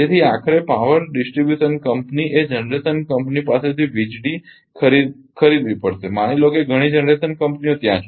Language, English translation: Gujarati, So, ultimately power distribution company has to buy power from that generation company suppose several generation companies are there